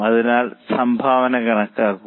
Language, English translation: Malayalam, So, compute the contribution